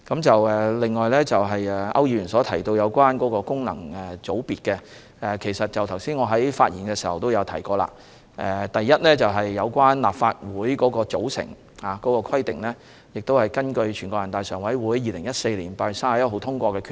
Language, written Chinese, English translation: Cantonese, 此外，區議員提到功能界別，我剛才在發言時也指出，第一，立法會的組成是根據全國人大常委會2014年8月31日通過的決定。, As pointed out in my speech just now first of all the composition of the Legislative Council is a decision passed by the Standing Committee of the National Peoples Congress on 31 August 2014